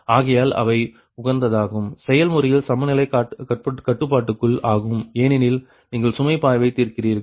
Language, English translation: Tamil, so therefore they are equality constraints in the optimization process, because you are solving load flow